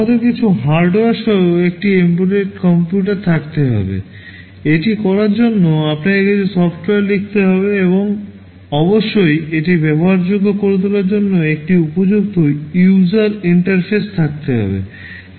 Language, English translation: Bengali, We have to have an embedded computer with some hardware, you have to write some software to do it, and of course there has to be a proper user interface to make it usable